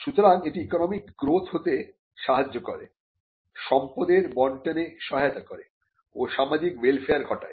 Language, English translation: Bengali, So, it helps economic growth, it also helps addressing concerns with regard to distribution of wealth and as well as social welfare